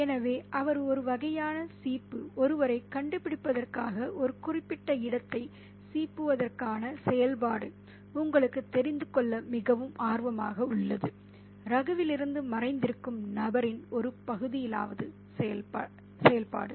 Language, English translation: Tamil, So, he is kind of combing, the activity of combing a particular space in order to find someone out is a really very anxious, you know, activity at least on the part of the person who is hiding from Raghu